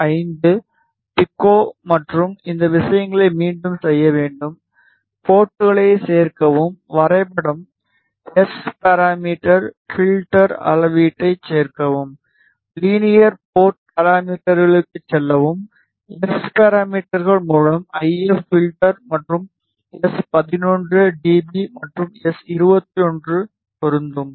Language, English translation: Tamil, 5 pico and these things have to repeat; add ports, add graph, SParam, filter, add measurement, go to linear port parameters s parameters source IF filter and S 11 dB apply and S 21 apply ok